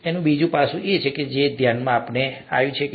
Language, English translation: Gujarati, That is another aspect that could come to mind